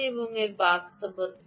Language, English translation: Bengali, ah, is this reality